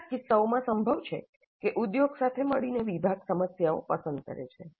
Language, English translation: Gujarati, It's also possible in some cases that the department in collaboration with industry selects the problems